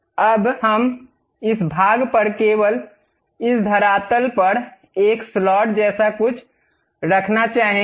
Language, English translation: Hindi, Now, we would like to have something like a slot on this portion, on this surface only